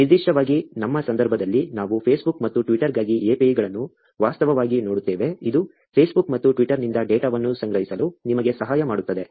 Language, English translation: Kannada, Particularly, in our case, we will actually look at APIs for Facebook and Twitter, which will help you to collect data from Facebook and Twitter